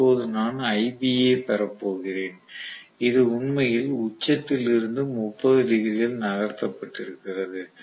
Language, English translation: Tamil, Now I am going to have ib which is actually about from the peak it has moved by about 30 degrees